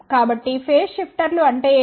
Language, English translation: Telugu, So, what is the phase shifters